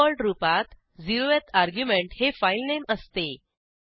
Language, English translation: Marathi, The 0th argument, by default, is the filename